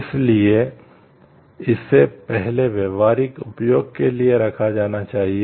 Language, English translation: Hindi, So, first is it must be of practical use